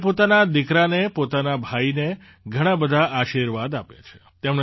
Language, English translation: Gujarati, They have given many blessings to their son, their brother